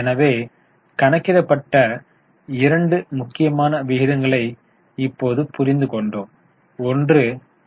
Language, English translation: Tamil, Right now let us understand two other important ratios which are already calculated